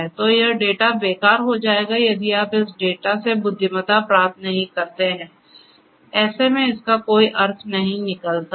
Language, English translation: Hindi, So, this data will be useless if you do not get meaning out of if you do not derive intelligence out of this data